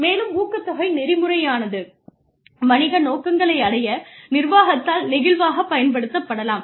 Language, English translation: Tamil, And, incentive mechanism, that can be used flexibly by management, to attain business objectives